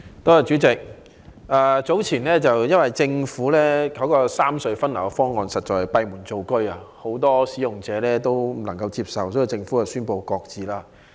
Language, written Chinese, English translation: Cantonese, 代理主席，由於政府早前的三隧分流方案實在是閉門造車，很多使用者皆無法接受，因此政府宣布擱置方案。, Deputy President formulated behind closed doors the Governments earlier proposal for the rationalization of traffic distribution among the three road harbour crossings was found unacceptable to many users and as a result the Government announced that the proposal would be shelved